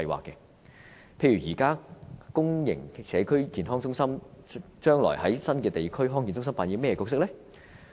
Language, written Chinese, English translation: Cantonese, 例如現時公營社區健康中心將來在新的地區康健中心扮演甚麼角色呢？, For example what role will existing public community health centres play when more new district health centres are built in future?